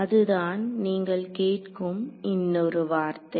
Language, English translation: Tamil, So, that is another word you will hear